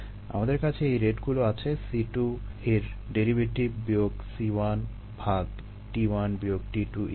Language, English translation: Bengali, we have these rates as derivatives: c two minus c one, divided by t two minus t one, and so on, so for